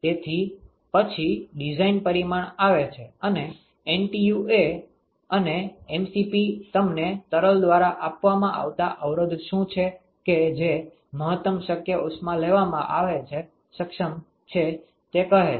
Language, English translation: Gujarati, So, the design parameter comes in and NTU and mdot Cp min tells you what is the resistance offered by the fluid which is capable of taking maximum possible heat, ok